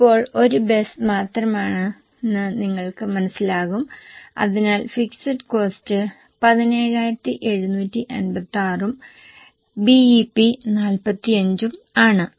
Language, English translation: Malayalam, So, you will realize now it's just one bus, so fixed cost is 17,756 and BP is 45